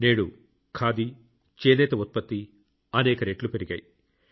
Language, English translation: Telugu, Today the production of khadi and